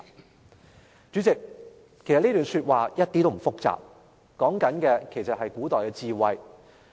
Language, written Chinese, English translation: Cantonese, "代理主席，其實這段古語一點也不複雜，說的其實是古代的智慧。, Deputy President the meaning of this paragraph of ancient Chinese prose is not complicated at all . What it says is actually the wisdom of ancient people